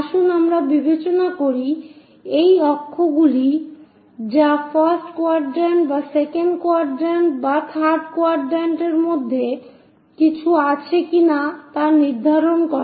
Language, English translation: Bengali, Let us consider these are the axis which are going to define whether something is in first quadrant or second quadrant or third quadrant